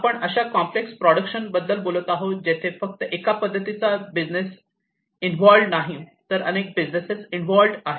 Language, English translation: Marathi, We are talking about the complex production process, where not just one kind of business will be involved, but multiple businesses might be involved as well